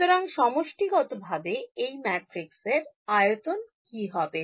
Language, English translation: Bengali, So, what will be the size of these sub matrices